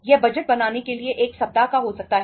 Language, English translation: Hindi, It can be 1 week for the budgeting